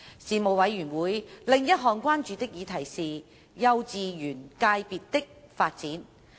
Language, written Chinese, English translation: Cantonese, 事務委員會另一項關注的議題是幼稚園界別的發展。, Another item of concern of the Panel was the development of kindergarten KG education sector